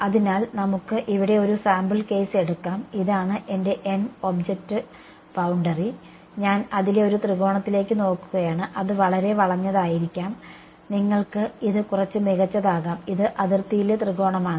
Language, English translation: Malayalam, So, let us take a sample case over here this is my n hat my object boundary right and I am just looking at one triangle on it may it is too skewed, may be you can just make it a little better this is the triangle on the boundary and let us say that my t hat is my tangential vector it goes along the boundary ok